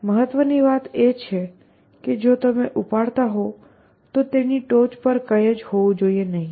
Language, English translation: Gujarati, What is important is that if you are picking up there must be nothing on top of it